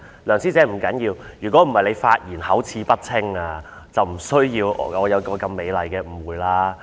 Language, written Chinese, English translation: Cantonese, 梁師姐，不要緊的，要不是你發言口齒不清，我便不會有這麼美麗的誤會了。, It does not matter senior Member Dr LEUNG . I would not have such a beautiful misunderstanding should you have spoken articulately what you had to say